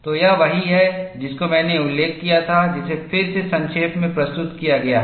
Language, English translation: Hindi, So, this is what I had mentioned, which is summarized again